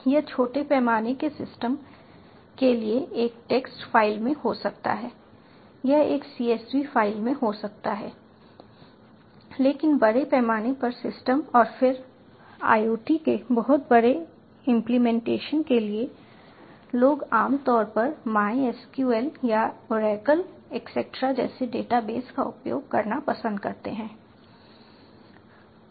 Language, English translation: Hindi, it may be in a text file for small scale systems, it may be in a csv file for but larger scale systems and then again for much larger implementations of iot, people normally prefer using data bases like mysql or oracle, cetera